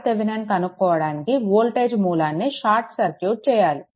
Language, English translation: Telugu, So, for R Thevenin that voltage source is short circuited right